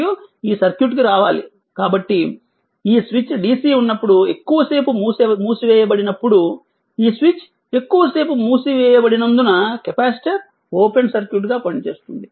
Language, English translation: Telugu, And we have to if you come to this this circuit right, so our capacitor when this switch is closed for long time for do dc, because this switch is closed for long time, the capacitor act as ah your what you call open circuit right